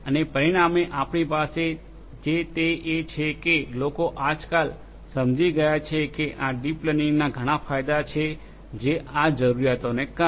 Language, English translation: Gujarati, And consequently what we have is that together people have realized nowadays that deep learning has lot of benefits because of these necessities